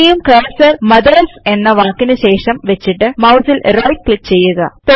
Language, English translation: Malayalam, Now place the cursor after the word MOTHERS and right click on the mouse